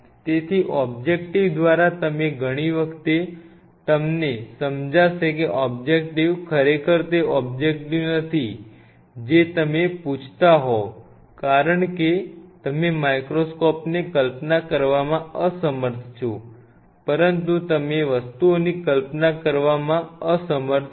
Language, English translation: Gujarati, So, many a times you by an objective and then you realize that objective is not really the objective you are asking for because you are unable to visualize a wonderful microscope, but you are unable to visualize things